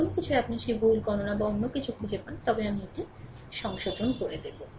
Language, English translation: Bengali, Anything you find that wrong calculation or anything then I will rectify it